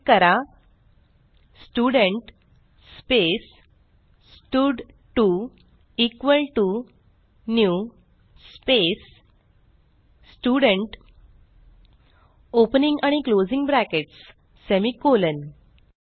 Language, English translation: Marathi, So, I will type Student space stud2 equal to new space Student opening and closing brackets semi colon